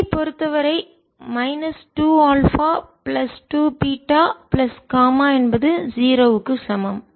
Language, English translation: Tamil, and for i get minus two alpha plus two, beta plus gamma is equal to zero